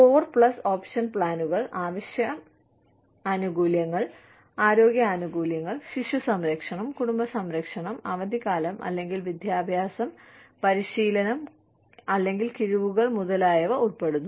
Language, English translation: Malayalam, Core plus option plans, consists of a core of essential benefits, health benefits, child care, family care, and either, vacation, or education, or training, or discounts, etcetera